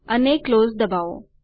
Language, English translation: Gujarati, And press close